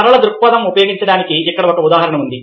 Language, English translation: Telugu, here is an example of, ah, linear perspective being used